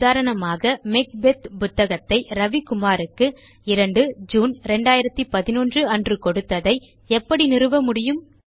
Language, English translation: Tamil, Also, for example,How will you establish that Macbeth was issued to Ravi Kumar on 2nd June 2011